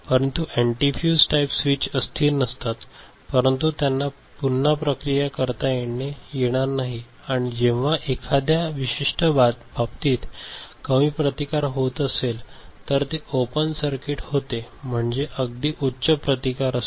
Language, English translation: Marathi, So, antifuse type switches are non volatile, but they cannot be reprogrammed and when in a particular case it is offering low resistance in another case it offers open circuit, very high resistance ok